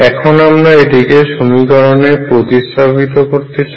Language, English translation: Bengali, Let us substitute this in the equation